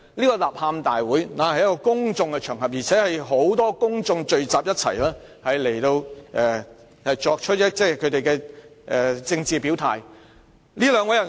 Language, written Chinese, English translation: Cantonese, 該吶喊大會在公眾場所舉行，有很多公眾人士聚集作政治表態。, The rally was held at a public venue and many public figures assembled there to state their political stance